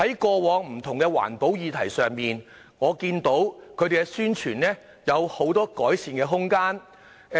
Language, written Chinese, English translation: Cantonese, 過往在不同的環保議題之上，我看到宣傳方面有許多改善的空間。, I saw much room for improvement in the publicity work on various environmental issues in the past